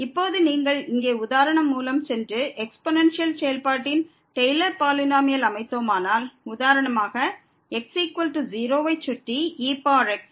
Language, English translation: Tamil, Now if you go through the example here and construct the Taylor’s polynomial of the exponential function for example, power around is equal to 0